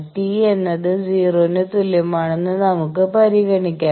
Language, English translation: Malayalam, Let us consider that t is equal to 0 is the time